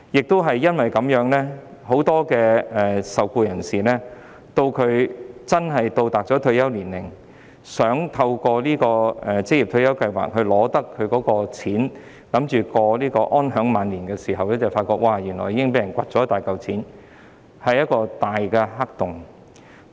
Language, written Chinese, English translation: Cantonese, 當很多受僱人士到達退休年齡，打算從職業退休計劃收取他的款項以安享晚年時，才發現原來大部分款項已被人取去，這是一個"大黑洞"。, In many cases when employees at their retirement age intended to receive their sums from OR Schemes to enjoy comfortable life in their twilight years they found that a substantial portion had been taken by others . This is a large black hole